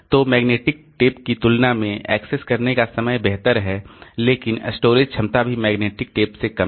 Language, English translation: Hindi, So, their access time is better than magnetic tape but storage capacity is also less than the magnetic tape